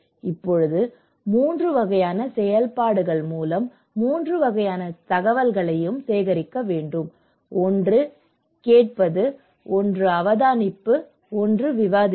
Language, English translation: Tamil, Now, we have also need to collect 3 kinds of informations or informations through 3 kinds of activities; one is hearing, one is observations, one is discussions